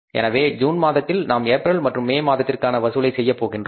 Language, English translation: Tamil, So, we are going to collect in the month of June we are going to collect for the month of the April and for the month of May